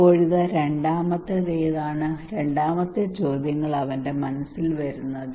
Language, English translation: Malayalam, Now what is the second one what the second questions come to his mind